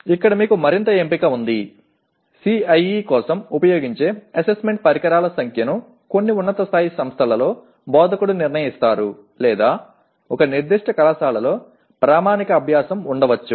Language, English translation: Telugu, And here you have further choice, the number of Assessment Instruments used for CIE is decided by the instructor in some higher end institutions or there may be a standard practice followed in a particular college